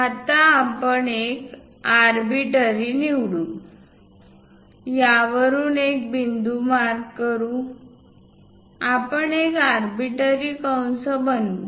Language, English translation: Marathi, Now, we are going to pick an arbitrary; let us mark a point from this, we are going to construct an arbitrary arc